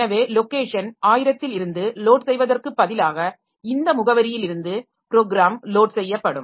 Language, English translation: Tamil, So instead of loading from thousand the program will be loaded from this address